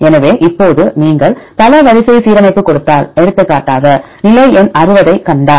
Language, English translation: Tamil, So, now if you give multiple sequence alignment; for example, if you see position number 60